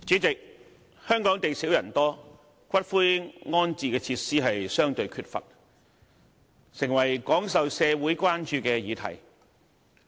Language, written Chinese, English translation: Cantonese, 主席，香港地少人多，骨灰安置設施相對缺乏，成為廣受社會關注的議題。, President given the large population and scarcity of land in Hong Kong the relative shortage of columbarium facilities is an issue of wide public concern